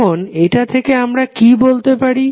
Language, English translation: Bengali, Now from this what you can conclude